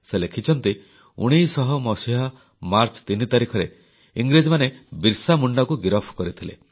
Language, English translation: Odia, He has written that on the 3rd of March, 1900, the British arrested BirsaMunda, when he was just 25 years old